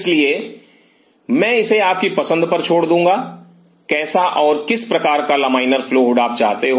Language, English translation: Hindi, So, I will leave it up to your choice how and what kind of laminar flow hood you want